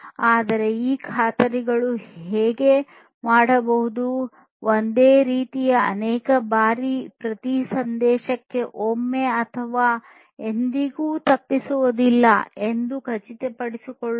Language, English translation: Kannada, But, these guarantees may do so, multiple times at most once which is about each ensuring that each message is delivered once or never